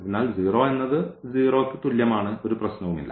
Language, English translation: Malayalam, So, 0 is equal to 0, there is no problem